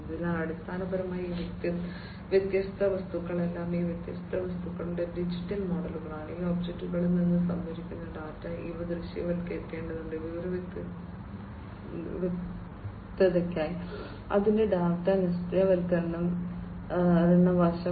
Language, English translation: Malayalam, So, basically you know all these different objects, the digital models of these different objects, the data that are procured from these objects, these will have to be visualize, the data visualization aspect of it for information clarity